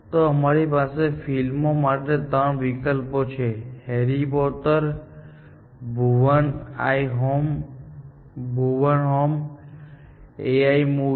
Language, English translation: Gujarati, Then, we have the three choices for the movie, Harry Potter, Bhuvan’s Home and A I, the movie